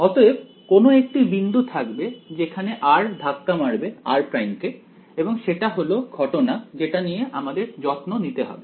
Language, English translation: Bengali, So, they will be some one point at which r hits this r prime and that is the issue that we have to care about right